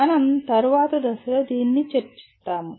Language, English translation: Telugu, We will come to that at a later point